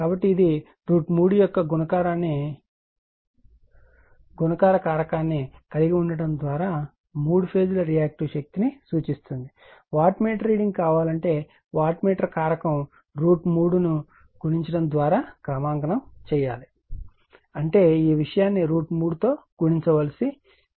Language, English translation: Telugu, So, calibrated that it indicates three phase Reactive Power by having a , multiplication factor of root 3 , that if you want same wattmeter reading , that wattmeter has to be calibrated , by multiplying factor root three; that means, that is the scale is there know , that those all this thing has to be multiplied by root 3